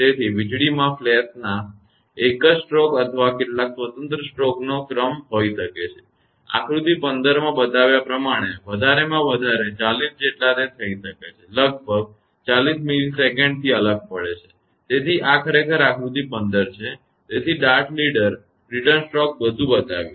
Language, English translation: Gujarati, Therefore, a lightning flash may have a single stroke or a sequence of several discrete stroke; as many as 40 it can happen, separated by about 40 millisecond as shown in figure 15; so this is actually figure 15; so dart leader, return stroke; everything is shown